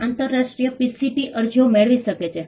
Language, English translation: Gujarati, India can receive international PCT applications